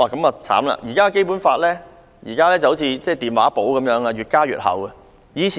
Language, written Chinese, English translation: Cantonese, 目前《基本法》好像電話簿般越加越厚。, Nowadays the Basic Law is as thick as a telephone directory